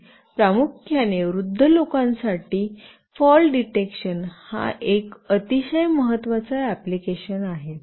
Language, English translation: Marathi, And also there is a very vital application like fall detection mainly for elderly people